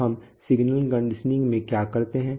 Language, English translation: Hindi, So what do we do in signal conditioning oops yeah